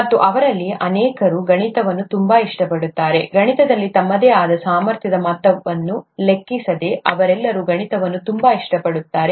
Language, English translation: Kannada, And many of them like mathematics a lot, irrespective of their own capability level in mathematics, they all like mathematics a lot